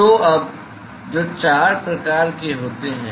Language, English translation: Hindi, So now, so there are four types of